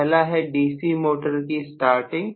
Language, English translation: Hindi, One topic is about starting of DC motors